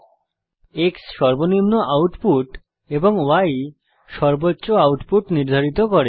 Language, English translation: Bengali, X sets minimum output and Y sets maximum output